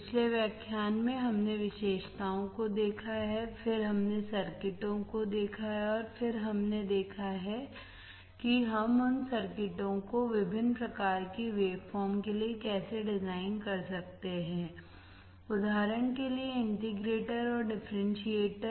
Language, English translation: Hindi, In the previous lecture, we have seen the characteristics, then we have seen the circuits, and then we have seen, how we can design those circuits for different generation of waveforms, for example, integrator and differentiator